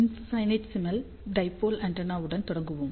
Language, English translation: Tamil, So, let us start with the infinitesimal dipole antenna